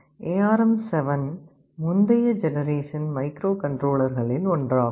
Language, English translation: Tamil, ARM7 was one of the previous generation microcontrollers